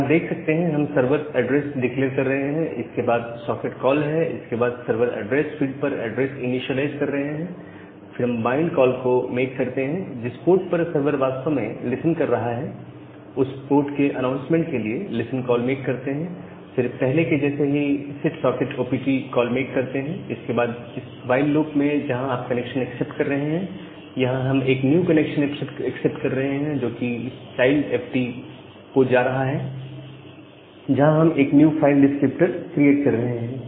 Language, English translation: Hindi, So, at the server implementation, so the change that, we have made the entire code is similar if you look into that we are declaring this server address, followed by a socket call then initializing the addresses at the server address field, making a bind call, making a listen call to broadcast the or not to actually broadcast this may not be a correct term to announce the port where the sever is actually listening and after that making that set sock opt call as earlier and then inside this while loop, where you are accepting accepting the connection we are accepting accepting a new connection and it is going to this child fd we are creating a new file descriptor